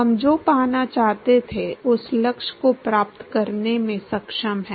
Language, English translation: Hindi, We are able to achieve the objective of what we wanted to get